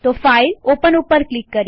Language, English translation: Gujarati, Click on File and Open